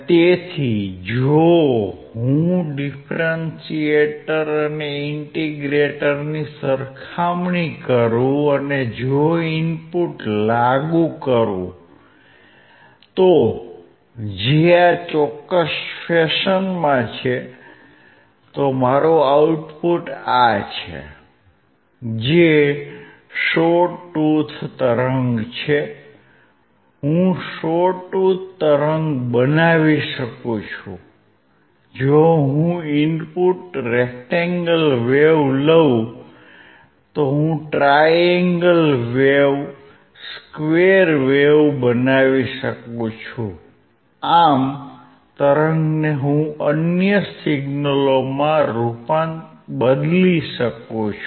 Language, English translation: Gujarati, So, if I compare the differentiator and integrator, If I apply input, which is in this particular fashion my output is this which is a triangular wave I can make a triangular wave, if I input is rectangular wave I can make a triangle a square wave I can change it to the other signal